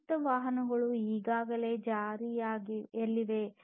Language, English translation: Kannada, Autonomous vehicles are already in place